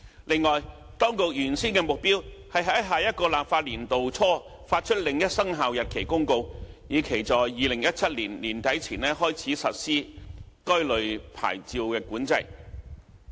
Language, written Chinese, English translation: Cantonese, 此外，當局原先的目標是在下一個立法年度初發出另一生效日期公告，以期在2017年年底前開始實施該類牌照管制。, The original goal of the Administration was to issue another Commencement Notice in the beginning of the next Legislative Session with a view to commencing licensing control by end 2017